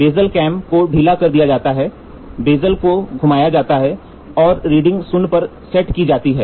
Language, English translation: Hindi, The bezel clamp is loosened, and the bezel is rotated, and the reading is set to zero